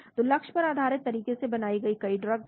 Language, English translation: Hindi, So there are many drugs derived from target based approaches